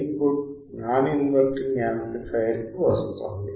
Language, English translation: Telugu, Input is coming to the non inverting amplifier